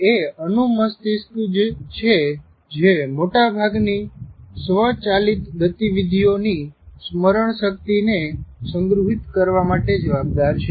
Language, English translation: Gujarati, And it is cerebellum that is responsible for making or store the memory of automated movement